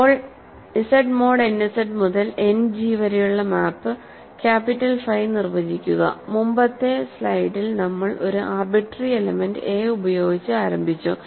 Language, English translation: Malayalam, Now, define the map capital phi from Z mod n Z to End G, remember in the previous slide we started with an arbitrary element a and defined endomorphism phi sub a